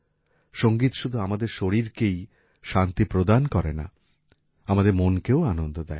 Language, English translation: Bengali, This music relaxes not only the body, but also gives joy to the mind